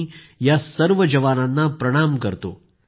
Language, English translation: Marathi, I salute all these jawans